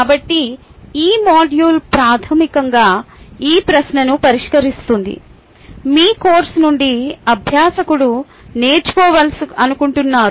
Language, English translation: Telugu, so this module is basically address in this question: what is that you want the learner to learn from your course